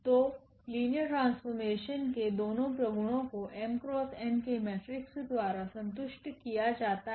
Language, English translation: Hindi, So, both the properties of the linear mapping satisfied for matrix for a matrix of order m cross n